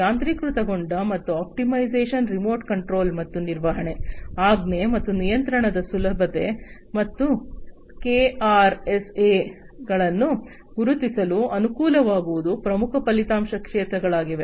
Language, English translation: Kannada, Enabling automation and optimization, remote control and management, ease of command and control, and facilitation of the identification of the KRAs, are the key result areas